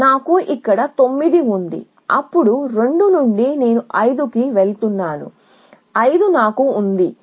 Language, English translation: Telugu, So, I have 9 here then from 2 I am going to 5 I have 5 here